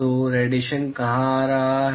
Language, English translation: Hindi, So, where is the irradiation coming